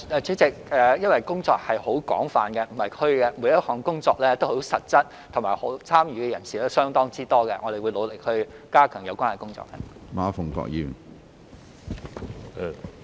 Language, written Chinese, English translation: Cantonese, 主席，因為工作很廣泛，並不是"虛"，每一項工作都很實質，參與的人士亦相當多，我們會努力加強有關工作。, President the work is extensive and it is not vague . Indeed each item of work is concrete with the participation of a lot of people . We will continue to step up the relevant work